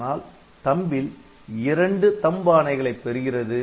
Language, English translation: Tamil, So, per memory word, so, you have got two such THUMB instructions